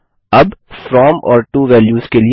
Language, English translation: Hindi, Now for the From and To values